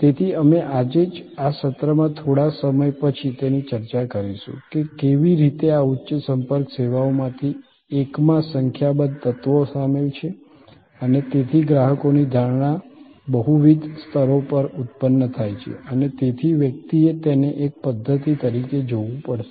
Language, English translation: Gujarati, So, we will discuss it today itself in this session a little later, that how there are number of elements involved in one of these high contact services and therefore, the customers perception gets generated at multiple levels and so one has to look at it as a system